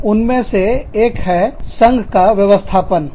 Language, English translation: Hindi, So, one is the union organization